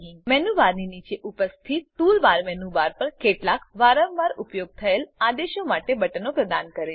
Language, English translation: Gujarati, The tool bar which is present below the menu bar provides buttons for several frequently used commands on the menu bar